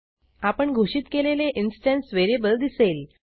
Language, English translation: Marathi, You will see the instance variable you defined